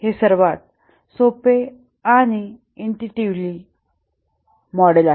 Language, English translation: Marathi, This is the simplest and most intuitive model